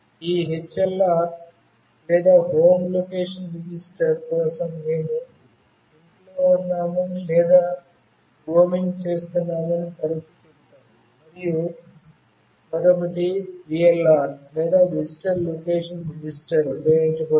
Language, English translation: Telugu, And we often say that we are at home or we are roaming, for this HLR or Home Location Register, and another is VLR or Visitor Location Register are used